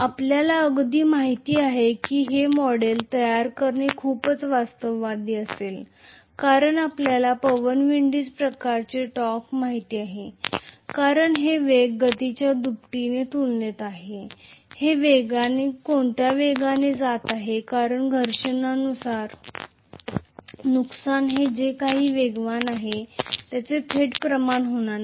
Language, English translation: Marathi, So very you know it will be very realistic to model that as you know a wind windage kind of torque because it will be proportional to the velocity square, at what velocity it is going because frictional losses will not be directly proportional to whatever is the velocity square